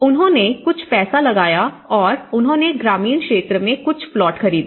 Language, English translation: Hindi, And they put some money and they bought some plots in the rural area